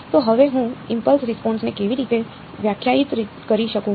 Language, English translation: Gujarati, So, now how do I define the impulse response